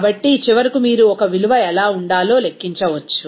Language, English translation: Telugu, So, finally, you can calculate what should be the a value